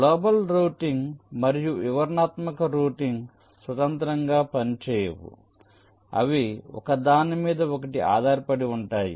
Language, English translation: Telugu, ok, so global routing and detailed routing, they are not independent, they go hand in hand